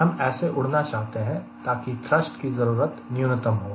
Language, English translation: Hindi, we want to fly such that thrust required is minimum